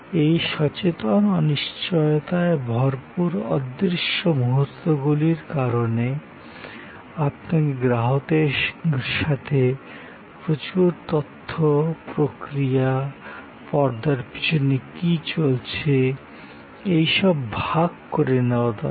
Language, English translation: Bengali, Because of this conscious uncertainty filled intangible moments, you need to share with the customer, a lot of information, lot of process, the stuff that are going on in the back ground